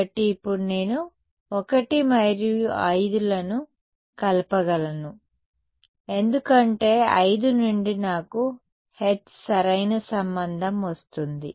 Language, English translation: Telugu, So, now I can combine 1 and 5 because from 5 I get a relation for H correct